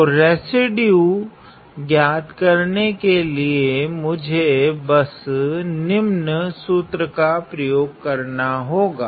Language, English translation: Hindi, So, to find the residue I need to just find it using the following formula